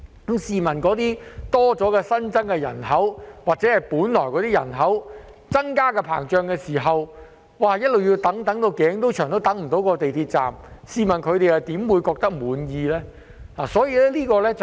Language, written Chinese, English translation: Cantonese, 那些新增的人口或原本的人口增長，便要一直等待，"等到頸都長"也等不到那個港鐵站落成，試問他們怎會感到滿意呢？, The new population or growth in the existing population will have to wait all along and people will have to wait frustratingly long before the commissioning of the MTR station . How will they be satisfied?